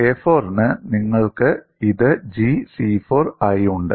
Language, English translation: Malayalam, For a 4, you have this as G c4